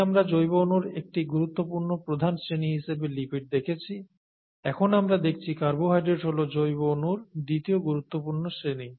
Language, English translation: Bengali, Earlier we saw lipids as one major class of biomolecules, now we are seeing carbohydrates as the second major class of biomolecules